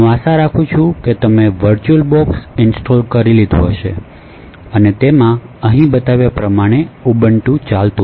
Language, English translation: Gujarati, So, I hope by now that you have actually install the virtual box and you actually have this Ubuntu running as shown over here